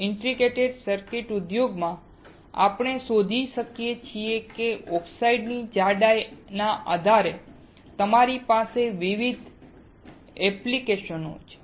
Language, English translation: Gujarati, In Integrated Circuit industry, we find that depending on the thickness of the oxide you have different applications